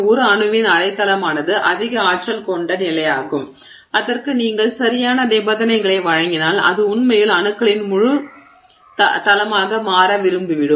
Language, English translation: Tamil, Half plane of an atom is a higher energy state and if you give it enough the right conditions it will like to actually go back to being a full plane of atoms